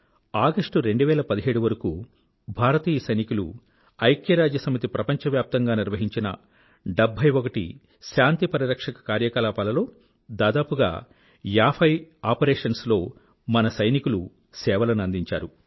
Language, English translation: Telugu, Till August 2017, Indian soldiers had lent their services in about 50 of the total of 71 Peacekeeping operations undertaken by the UN the world over